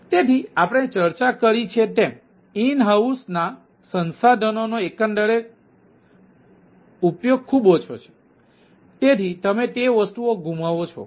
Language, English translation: Gujarati, as we discuss, the overall utilization of the resource of the in house is highly underutilized, so you lose on those things, right